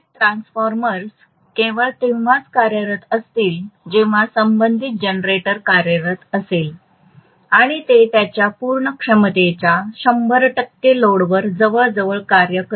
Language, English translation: Marathi, So the power transformers will be functioning only when the corresponding generator is functioning and it will be almost functioning at 100 percent load to its fullest capacity